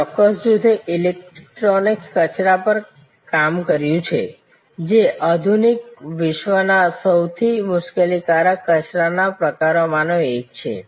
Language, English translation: Gujarati, So, this particular group they worked on electronic waste, one of the most troublesome waste types of modern world